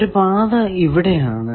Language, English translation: Malayalam, What are the paths